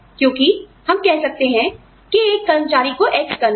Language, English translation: Hindi, Because, we may say that, an employee has to do, X